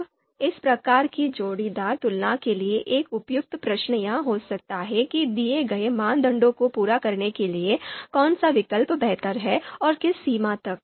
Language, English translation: Hindi, Now an appropriate question for this kind of pairwise comparison could be which alternative is prefer preferable to fulfil the fulfil the given criteria and to what extent